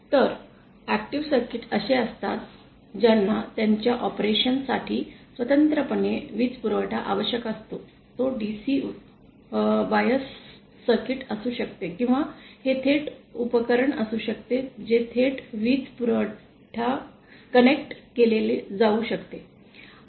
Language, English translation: Marathi, Then the active circuits are ones which for their operation separately need a power supply it can be a DC bias circuit or it can be directly device can be directly connected to power supply